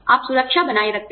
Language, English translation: Hindi, You maintain security